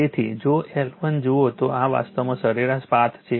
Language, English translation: Gujarati, So, L 1 if you see that this is actually mean path